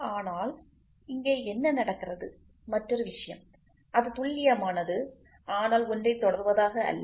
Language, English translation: Tamil, But here what happens is the other thing is it is accurate, but not precision